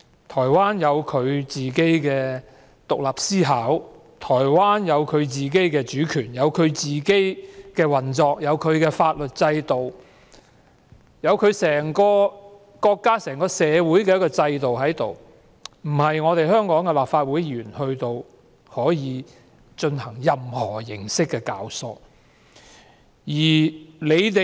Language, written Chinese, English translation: Cantonese, 台灣有其獨立思考，有其主權，有其自行運作，有其法律制度，有其整個國家和整體社會的制度，並非香港立法會議員可以左右。, Taiwan has its own independent thinking and sovereignty and it operates in its own way . It also has its own legal system and other systems which apply to the whole country and society . Therefore there is no way that Members of the Legislative Council of Hong Kong can influence Taiwan